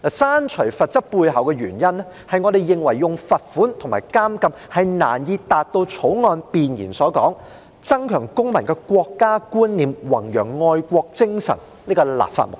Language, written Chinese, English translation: Cantonese, 刪除罰則背後的原因，是我們認為以罰款和監禁是難以達到《條例草案》弁言所說"增強公民的國家觀念，以及弘揚愛國精神"這立法目的。, The underlying reason for deleting the penalty is that we consider it difficult to achieve the legislative intent of enhancing citizen awareness of the Peoples Republic of China and promoting patriotism as stated in the Preamble by imposing a fine and a prison term